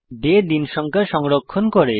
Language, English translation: Bengali, day stores the day number